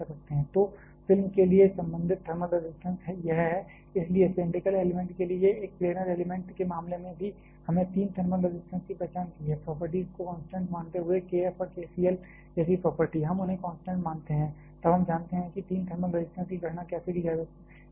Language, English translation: Hindi, So, the corresponding thermal resistance for the film is this, hence like in case of a planar element for cylindrical element also we have identified the three thermal resistances of course, by assuming the properties to be constant, property like the k F and k c l, we assume them to be constant; then we know how to calculate the three thermal resistances